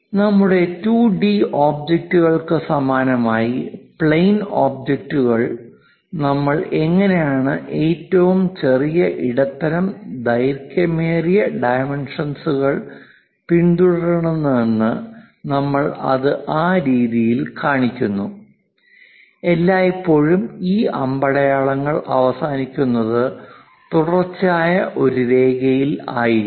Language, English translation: Malayalam, Similar to our 2D objects, plane objects how we have followed smallest, medium and longest dimensions we show it in that way, always a continuous line followed by this arrow heads terminating